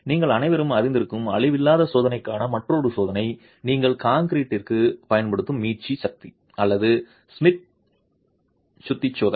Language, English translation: Tamil, Another test which is a non destructive test that all of you would be aware of is the rebound hammer or the Schmidt hammer test that you use for concrete